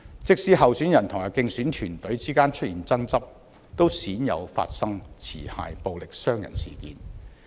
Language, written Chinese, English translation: Cantonese, 即使候選人及競選團隊之間出現爭執，都鮮有發生持械暴力傷人的事件。, Even when disputes arose between candidates and electioneering teams armed assaults rarely took place